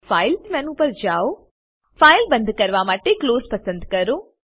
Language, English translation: Gujarati, Go to File menu, select Close to close the file